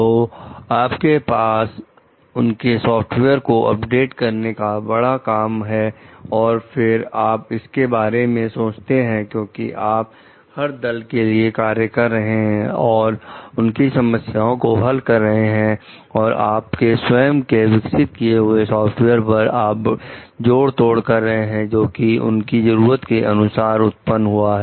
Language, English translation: Hindi, So, it is a big job for you to update their software and then you are thinking of like if, because you are working like for each party and you are trying to solve their issues and you are putting patches to your original developed software based on as when needs are arising